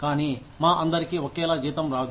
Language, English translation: Telugu, But, all of us, do not get the same salary